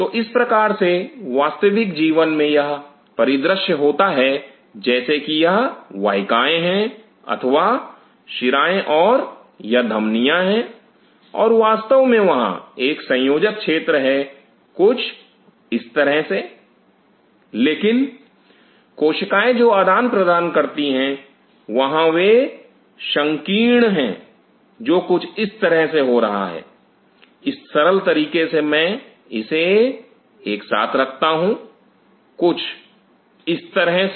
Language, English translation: Hindi, So, this is how in a real life scenario happens, like these are the vessels or the veins and these are the arteries and of course, there is a connecting zone something like this, but the capillaries and they exchange then there is narrowing down which is happening like this similarly simplistic way I am just putting it together something like that